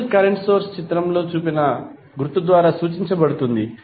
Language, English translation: Telugu, Ideal current source is represented by this symbol